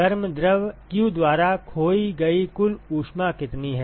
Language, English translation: Hindi, What is the total heat that is lost by the hot fluid q